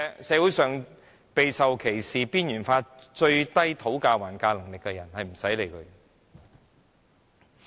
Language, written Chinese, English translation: Cantonese, 社會上備受歧視、被邊緣化，討價還價能力最低的人，根本不用理會。, Those who are discriminated marginalized and have the least bargaining power can be cast aside